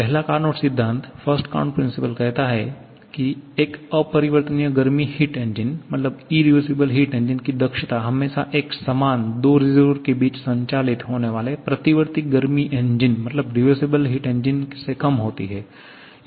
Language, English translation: Hindi, The first Carnot principle says that the efficiency of an irreversible heat engine is always less than the same for a reversible heat engine operating between the same 2 reservoirs